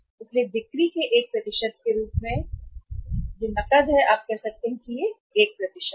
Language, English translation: Hindi, So as a percentage of sales the cash is uh you can say it is 1%